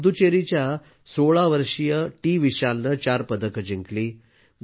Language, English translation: Marathi, 16 year old TVishal from Puducherry won 4 medals